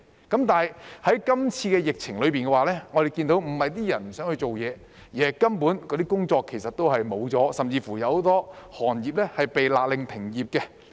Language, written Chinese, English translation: Cantonese, 但是，在今次的疫情下，我們看到，不是他們不想工作，而是那些工作根本是消失了，甚至有很多行業被勒令停業。, However in this epidemic as we can see it is not that they do not want to work but that those jobs have utterly disappeared and many industries have even been ordered to suspend operation